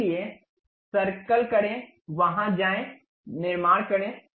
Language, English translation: Hindi, So, circle, go there, construct